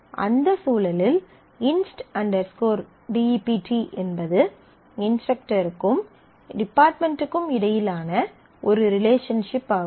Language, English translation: Tamil, And inst dept inst dept in that context is a relationship which is between instructor and department